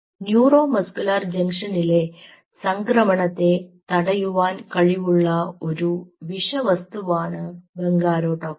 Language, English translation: Malayalam, so bungarotoxin is a toxin which will block the transmission in the neuromuscular junction